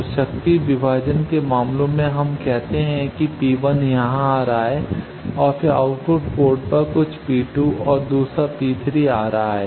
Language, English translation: Hindi, So, in case of power division let us say P 1 is coming here and then at output port some P 2 and another P 3 is coming